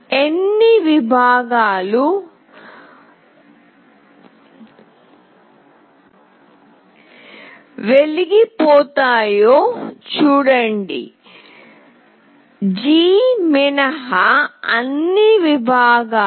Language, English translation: Telugu, You see how many segments will glow, all the segments except G